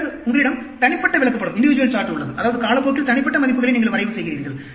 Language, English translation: Tamil, Then, you have the individual chart, that means, you plot the individual values over time